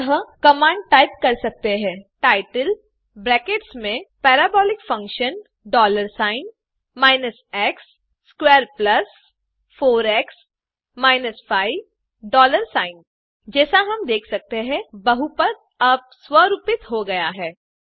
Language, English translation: Hindi, So in the command you can type title within brackets Parabolic function dollar sign minus x squared plus 4x minus 5 dollar sign As we can see, the polynomial is now formatted